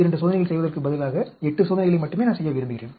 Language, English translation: Tamil, Instead of doing 32 experiments, I want do only 8 experiments